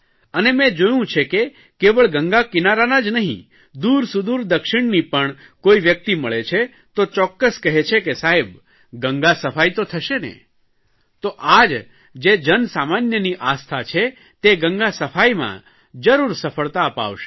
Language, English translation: Gujarati, I have seen that not just on the banks of Ganga, even in far off South if one meets a person, he is sure to ask, " Sir, will Ganga be cleaned